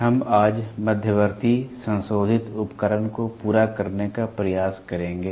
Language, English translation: Hindi, We will today try to cover intermediate modifying device